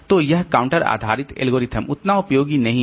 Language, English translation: Hindi, So this counter based algorithms are not that much useful